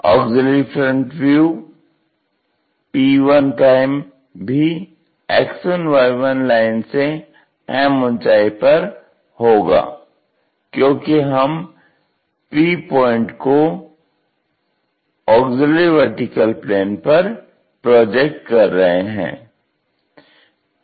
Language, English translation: Hindi, The auxiliary front view p1' will also be at a height m above the X1Y1 line, because the point p we are projecting it onto auxiliary vertical plane